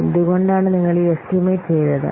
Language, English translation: Malayalam, Why you have done this estimate